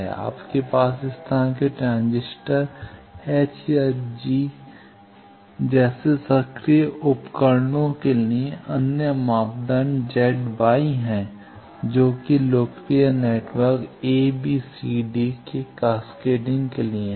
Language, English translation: Hindi, You have other parameter Z Y for active devices like this transistors H or G for cascading of networks a, b, c, d those are popular